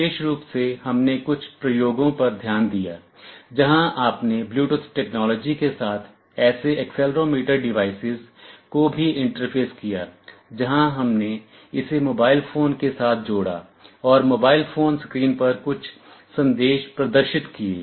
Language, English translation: Hindi, In particular we looked at some experiments where you also interfaced such an accelerometer device with Bluetooth technology, where we paired with a mobile phone and some messages were displayed on the mobile phone screens